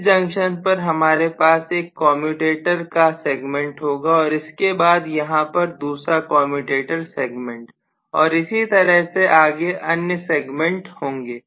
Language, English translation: Hindi, So let us say from this junction I am having one commutator segment from here I am having another commutator segment and so on and so forth